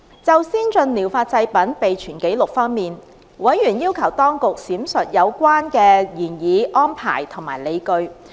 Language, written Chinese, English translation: Cantonese, 就先進療法製品備存紀錄方面，委員要求當局闡述有關的擬議安排及理據。, Regarding record keeping for ATPs members requested the Administration to explain the proposed arrangement and the rationale behind